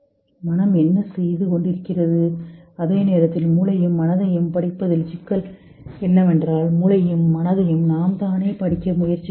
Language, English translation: Tamil, While the problem with studying the brain and mind is that we are trying to study brain and mind through itself